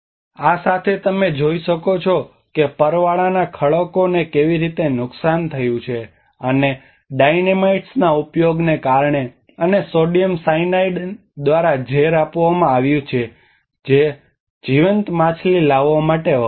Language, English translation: Gujarati, With this what you can see that how the coral reefs have been damaged and because of using the Dynamites and poisoned by sodium cyanide which used for bringing in live fish